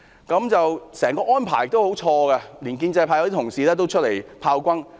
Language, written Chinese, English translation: Cantonese, 整個安排十分錯誤，連一些建制派議員也出來炮轟。, The entire arrangement is highly inadequate even some pro - establishment Members have raised criticisms